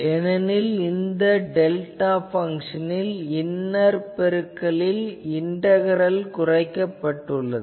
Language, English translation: Tamil, Why because if you take delta function that inner product there the one order of integration gets reduced